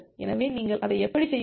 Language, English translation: Tamil, So, how will you do that